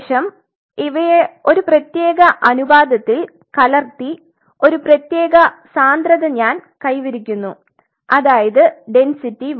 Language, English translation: Malayalam, So, I mix them at a particular ratio and I achieve particular density say I said density 1